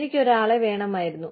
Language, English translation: Malayalam, I needed somebody